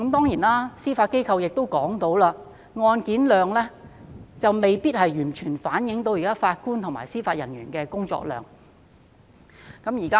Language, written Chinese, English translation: Cantonese, 此外，司法機構亦表示，案件量未必完全反映法官及司法人員現時的工作量。, What is more the Judiciary has also indicated that the caseload may not fully reflect the current workload of Judges and Judicial Officers